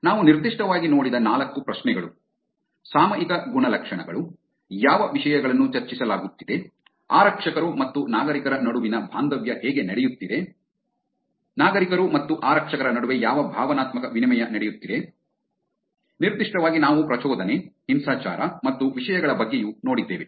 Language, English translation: Kannada, The four questions that we saw specifically where, topical characteristics, what topics are being discussed, how the engagement between police and citizens are happening, what emotional exchanges are happening between citizens and police, specifically we also looked at arousal, violence and topics around that